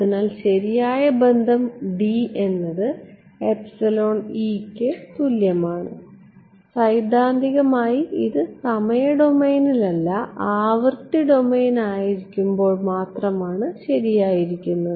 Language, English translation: Malayalam, So, the correct the relation D is equal to epsilon E is theoretically correct only when these are in the frequency domain not in the time domain right